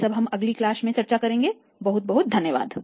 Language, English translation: Hindi, All this we will discuss in the next class thank you very much